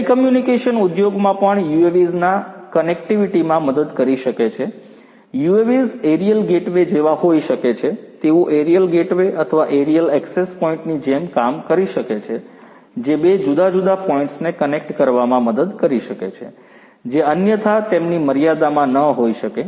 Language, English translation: Gujarati, In telecommunication industry also UAVs could help in connectivity, UAVs could be like you know aerial gateways, they could act like aerial gateways or aerial access points, which can help in connecting two different points which otherwise may not be within their range